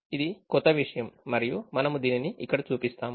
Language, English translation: Telugu, that is the new thing and we will show this here